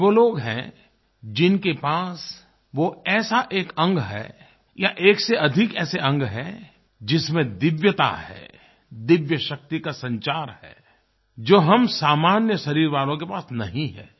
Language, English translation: Hindi, They are those people who have one or more such organs which have divinity, where divine power flows which we normal bodied people do not have